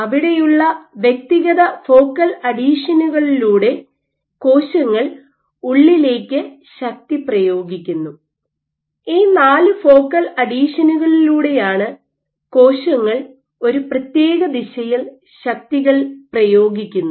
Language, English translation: Malayalam, So, if there were individual focal adhesions through which the cell is exerting forces inside if let us say these are four focal adhesion through which cells are exerting forces in the given direction